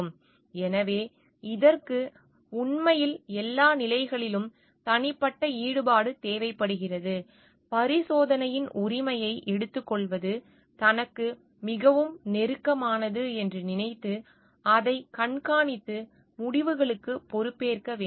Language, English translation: Tamil, So, it requires actually a personal involvement at all stages, taking ownership of the experiment, thinking at it is very close to oneself and monitoring it and taking accountability of the results